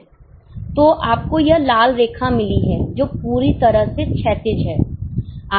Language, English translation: Hindi, So, you have got this red line which is totally horizontal